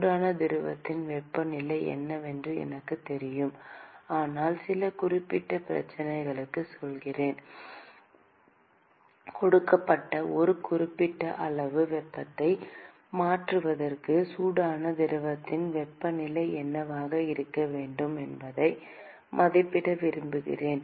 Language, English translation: Tamil, Let us say, I know what the temperature of the hot fluid is, but let us say for some particular problem I want to estimate what should be the temperature of the hot fluid, in order for certain amount of heat to be transferred across a given composite system